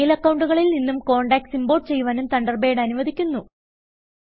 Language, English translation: Malayalam, Thunderbird allows us to import contacts from other Mail accounts too